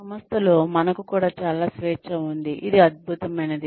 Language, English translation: Telugu, We also have a lot of freedom in this institute, which is fantastic